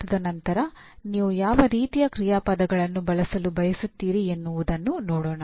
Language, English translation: Kannada, And then what kind of action verbs do you want to use